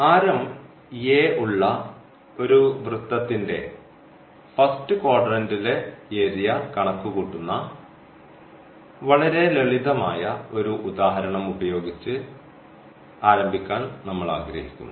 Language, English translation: Malayalam, So, now, we want to compute, we want to start with a very simple example compute area of the first quadrant of a circle of radius r, of radius a